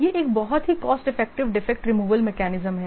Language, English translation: Hindi, This is a very cost effective defect removal mechanism